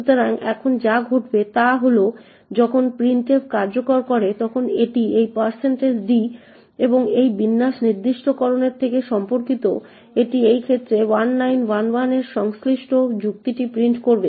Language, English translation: Bengali, So, what happens now is that when printf executes it looks out for this % d and corresponding to this format specifiers it would print the corresponding argument in this case 1911